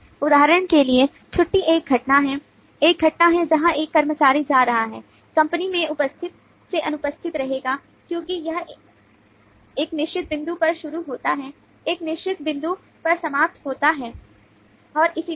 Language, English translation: Hindi, for example, leave is an event, is an event where an employee is going, will be absent from attendance in the company as it starts at a certain point, ends at a certain point, and so on